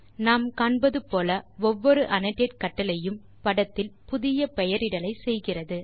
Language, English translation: Tamil, As we can see, every annotate command makes a new annotation on the figure